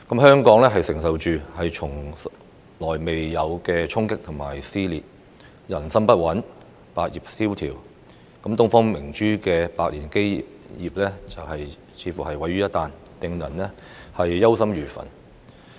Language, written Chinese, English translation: Cantonese, 香港承受從未經歷過的衝擊與撕裂，人心不穩，百業蕭條，東方明珠的百年基業幾乎毀於一旦，令人憂心如焚。, Like never before Hong Kong has endured shocks and seen social cleavages while people were at sixes and sevens in the face of economic depression . The century - old foundation of the Pearl of the Orient almost crumbled in the blink of an eye then which had filled us with deep anxiety